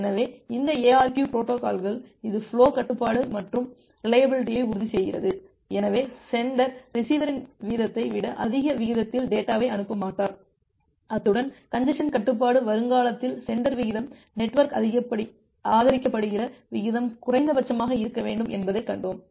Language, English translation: Tamil, So, this ARQ protocols see it ensures the flow control and reliability, so the sender will not send data at a rate higher than the receiver rate; as well as in the congestion control prospective we have seen that the sender rate should be minimum of the network supported rate